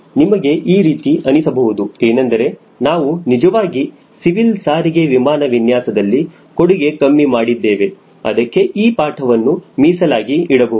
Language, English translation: Kannada, but you will see that we have not really done enough as far as designing of civil transport airplane and that is where this lecture is dedicated to